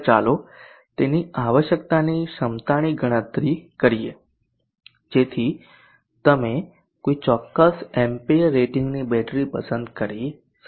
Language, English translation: Gujarati, Next let us calculate the capacity of that is required, so that you may chose a battery of a particular ampere rating